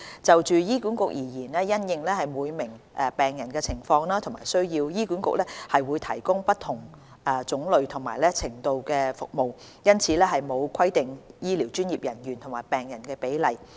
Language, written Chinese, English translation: Cantonese, 就醫管局而言，因應每名病人的情況和需要，醫管局會提供不同種類和程度的服務，因此沒有規定醫療專業人員與病人的比例。, As for HA different types and levels of services are provided having regard to the conditions and needs of each patient . Therefore HA does not have any prescribed medical professional - to - patient ratio